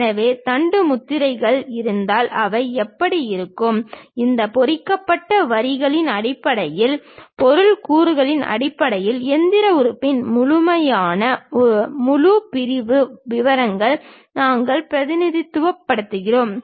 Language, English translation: Tamil, If there are any shaft seals, how they really look like; based on these hatched lines, based on the material elements, we will represent these complete full sectional details of that machine element